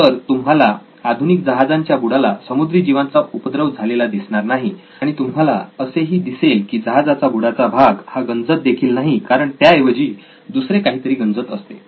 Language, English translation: Marathi, So you would not find marine life under the hull of a modern ship and you would still find that the bottom hull is not corroding because something else is corroding instead